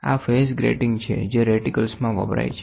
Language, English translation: Gujarati, These are phase grating phase grating used in reticles